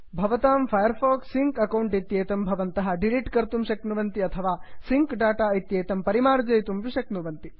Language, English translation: Sanskrit, You may also want to delete your firefox sync account or clear your sync data